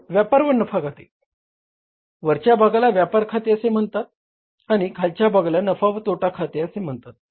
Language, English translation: Marathi, , first part, upper part is called as a trading and trading account and the lower part is called as the profit and loss account